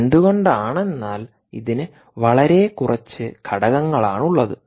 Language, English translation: Malayalam, because it has very fewer components